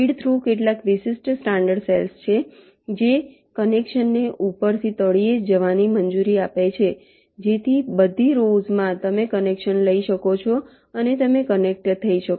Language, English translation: Gujarati, feed through are some special standard cells which allow a connection from top to go to the bottom so that across rows you can take a connection and you can connect